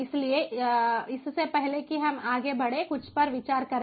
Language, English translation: Hindi, so let us consider something before we go further